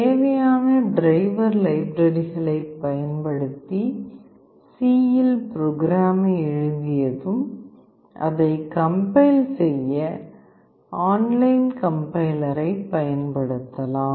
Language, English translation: Tamil, Once you write the program in C using necessary driver libraries those are present, you can use the online compiler to compile the code